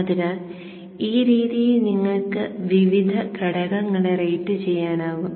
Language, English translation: Malayalam, So this way you can rate the various components